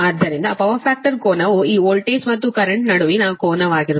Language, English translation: Kannada, so angle, the power factor angle will be angle between this sending end voltage and this sending end current